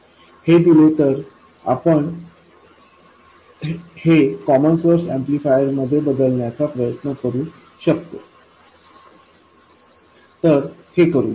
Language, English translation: Marathi, So given this, we can proceed with trying to turn this into a common source amplifier